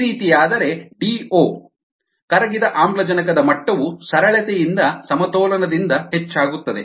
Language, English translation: Kannada, if this is the case, then the d o, the dissolved oxygen level, will increase, right from simple, from balance